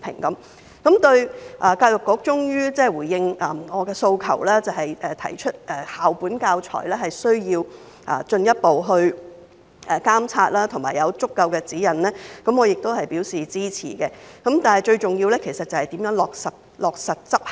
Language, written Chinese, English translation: Cantonese, 對於教育局終於回應我的訴求，提出需要進一步監察校本教材，以及有足夠的指引，我亦表示支持，但最重要是如何落實執行。, Finally in response to my request EDB has suggested the need to further monitor school - based teaching materials and provide adequate guidelines . I express support for its suggestion but what matters most is how to implement it